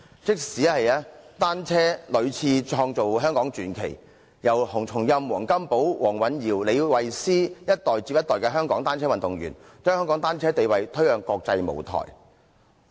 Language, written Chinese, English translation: Cantonese, 即使單車屢次創造香港傳奇，從洪松蔭、黃金寶、黃蘊瑤到李慧詩，一代接一代的香港單車運動員，把香港單車運動地位推向國際舞台。, Bicycles have created Hong Kong legends one after another from HUNG Chung - yam WONG Kam - po Jamie WONG to Sarah LEE Hong Kong cycling athletes of one generation after another have escalated the status of cycling in Hong Kong as a sport to the international stage